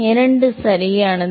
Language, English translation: Tamil, Two correct right